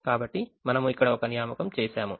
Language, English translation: Telugu, so we have made an assignment here